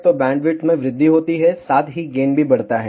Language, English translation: Hindi, So, bandwidth increase, as well as gain increases